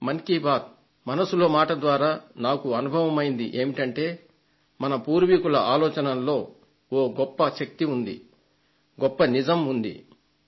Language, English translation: Telugu, My experience of "Mann Ki Baat" made me realize that the thinking of our ancestors was very powerful and had great authenticity in them as I have myself experienced them